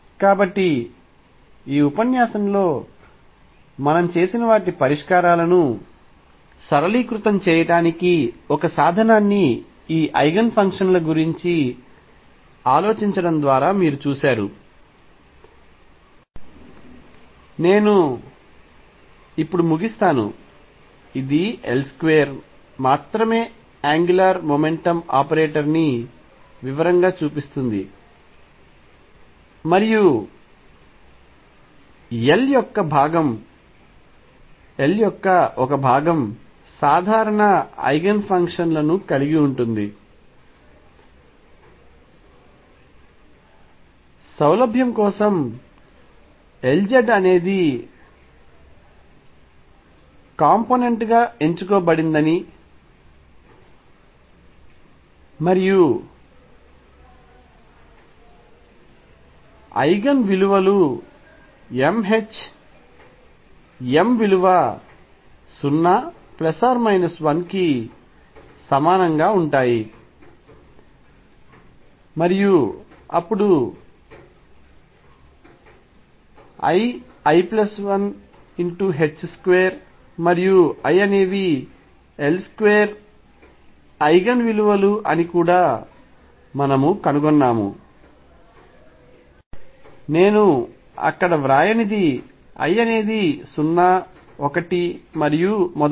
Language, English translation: Telugu, So, you see this having a thought about simultaneity of the Eigen functions also gives me a tool to simplify my solutions what we have done in this lecture, I will just conclude now That will look that angular momentum operator in detail we found that only L square and one component of L can have common Eigenfunctions, we have also found that for convenience L z is chosen to be the component and Eigen values come out to be m h cross m equals 0 plus minus 1 and so on then we also found that L square Eigen values are l, l plus 1 h cross square and I; what I did not write there is l is 0 1 and so on